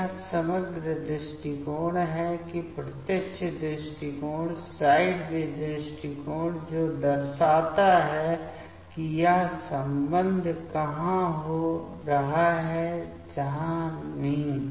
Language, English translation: Hindi, So, this is the overall approaches that direct approach, sideway approach that shows that where this bonding interactions are happening, where not